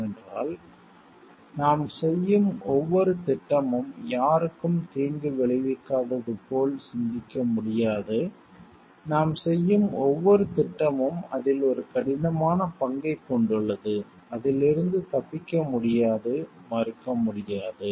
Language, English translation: Tamil, Because every project that we do, we cannot cream like we are not harming anyone, every project that we do every design that we do have a hard part involved in it we cannot escape that, we cannot deny that